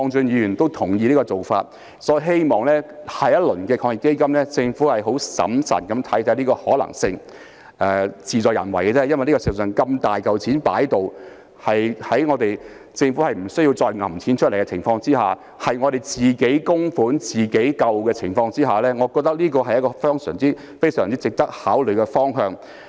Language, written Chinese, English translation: Cantonese, 因此，我希望在下一輪防疫抗疫基金，政府可以審慎看看這個建議的可能性，其實只是事在人為，因為事實上如此龐大的一筆資金，讓政府在不需要再額外撥款的情況下，實施"自己供款自己救"，我認為這是非常值得考慮的方向。, Therefore I hope that the Government carefully examines the possibility of this proposal in the next round of the Anti - epidemic Fund . Honestly where there is a will there is a way . As a matter of fact such a large sum of money will let the Government make saving oneself with their own contributions possible without needing to allocate any additional funding so I believe this is a direction very worthy of consideration